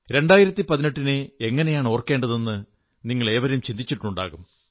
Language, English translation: Malayalam, You must have wondered how to keep 2018 etched in your memory